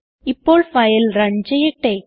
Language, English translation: Malayalam, Let us run the file now